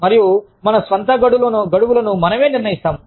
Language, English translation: Telugu, And, we decide our own deadlines